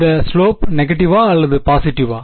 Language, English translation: Tamil, The slope is negative or positive